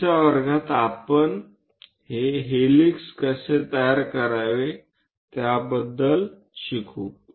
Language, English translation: Marathi, In the next class, we will learn about helix how to construct that